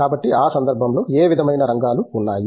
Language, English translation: Telugu, So what of sort of areas are there in that context